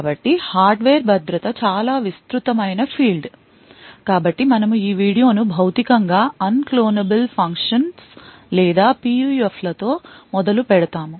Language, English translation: Telugu, So, the Hardware Security itself is a very broad field, So, we will be starting this video with a something known as Physically Unclonable Functions or PUFs